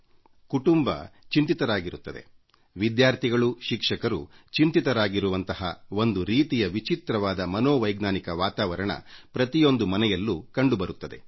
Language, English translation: Kannada, Troubled families, harassed students, tense teachers one sees a very strange psychological atmosphere prevailing in each home